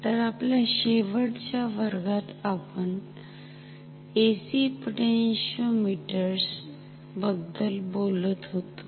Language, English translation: Marathi, So, in our last class, we were talking about AC potentiometers